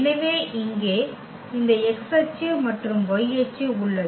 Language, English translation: Tamil, So, here we have this x axis and y axis